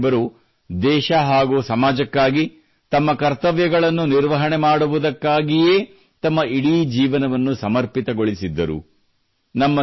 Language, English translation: Kannada, Baba Saheb had devoted his entire life in rendering his duties for the country and society